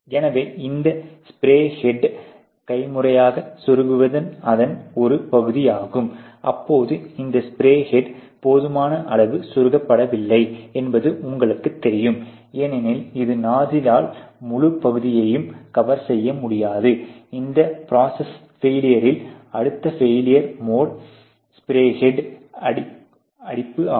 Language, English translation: Tamil, So, that is one part of it that is manually insert this spray head and during that you feel that, you know these spray head is not inserted enough far enough, because probably it is not the nuzzle the you know nuzzle able to not cover the whole area which is needed to be coded by this particular nuzzle, the other process failure which causes this failure mode to come up can be spray heads clogged you see